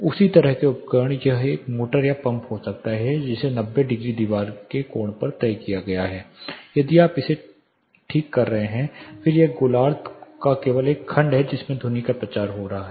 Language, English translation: Hindi, The same kind of equipment it can be a motor or a pump fixed at 90 degree wall angle here you are fixing it, then it is only a segment of this hemisphere in which the sound is getting propagated